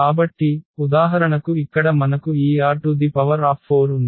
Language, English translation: Telugu, So, for instance here we have this R 4